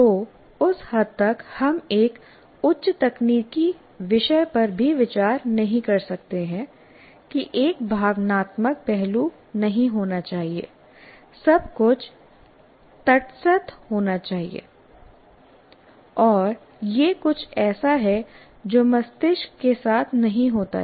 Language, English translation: Hindi, So to that extent we cannot consider even a highly technical subject that one should not have an emotional aspect of it, everything should be neutral and that is something that does not happen with the brain